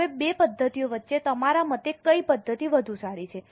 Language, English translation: Gujarati, Now, between the two methods, which method is better in your opinion